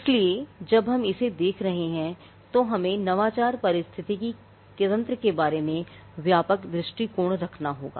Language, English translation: Hindi, So, when we are looking at this, we have to have a broader view of the innovation ecosystem